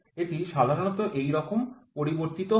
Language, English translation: Bengali, It generally it varies like this, ok